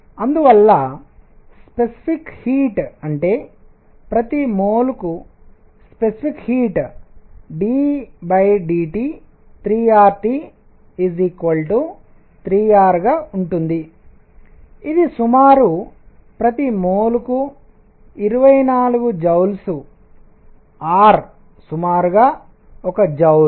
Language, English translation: Telugu, And therefore, specific heat; that means, specific heat per mole is going to be 3 R T d by d T equals 3 R which is roughly 24 joules per mole, R is roughly a joules